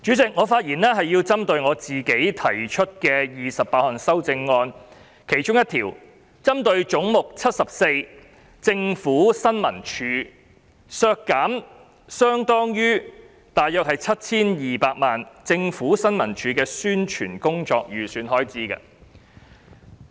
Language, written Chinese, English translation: Cantonese, 主席，我的發言是針對由我提出的28項修正案中，"總目 74― 政府新聞處"削減大約相當於 7,200 萬元的政府新聞處宣傳工作的預算開支發言。, Chairman among the 28 amendments that I proposed I will now mainly speak on the amendment on Head 74―Information Services Department . I propose to reduce the provision for the publicity work of the Information Services Department ISD by approximately 72 million